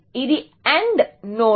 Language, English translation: Telugu, This is an AND node